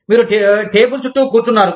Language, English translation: Telugu, You are sitting across the table